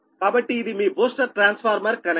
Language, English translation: Telugu, so this is your, this is your booster transformer connection, right